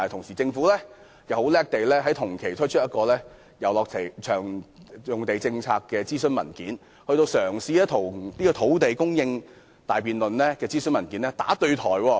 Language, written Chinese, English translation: Cantonese, 然而，政府很厲害，同期就私人遊樂場地政策檢討展開諮詢，與土地供應專責小組的辯論"打對台"。, However the Government is shrewd to concurrently commence the consultation on the review of private recreational leases which runs contrary to the debate of the Task Force on Land Supply